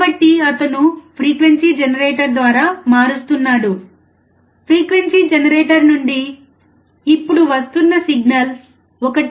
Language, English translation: Telugu, So, he is changing the frequency generator; the signal from the frequency generator which is now 1